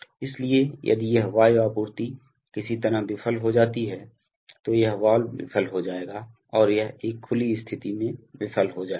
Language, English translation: Hindi, So, if this air supply somehow fails then this valve will fail and it will fail in an open situation